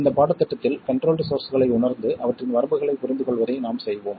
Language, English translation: Tamil, In this course what we will do is to realize those control sources and also understand their limitations